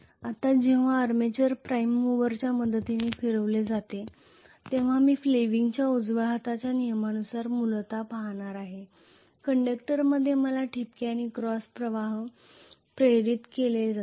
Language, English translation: Marathi, Now when the armature is rotated with the help of prime mover I am going to see essentially as per fleming’s right hand rule, I am going to have dot and cross currents are induced,right